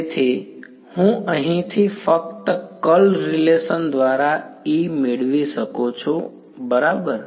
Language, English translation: Gujarati, So, I can get E from here by simply the curl relation right